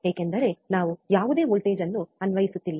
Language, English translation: Kannada, , bBecause we are not applying any voltage,